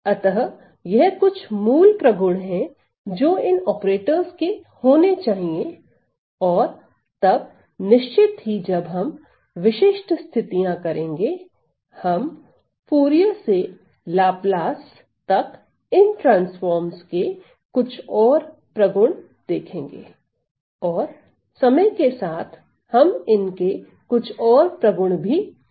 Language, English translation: Hindi, So, then so these are some of the basic properties that these operators must have and then of course, when we move on to specific cases, we will see more properties of these transforms from Fourier to Laplace, and some of the other ones that we are going to study over our course of time